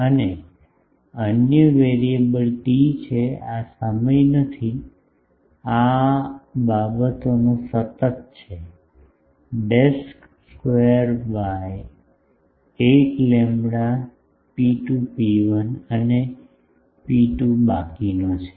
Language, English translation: Gujarati, And, another variable is t this is not time t this is a constant of these things a dashed square by 8 lambda rho 2 rho1 and rho 2 are the remaining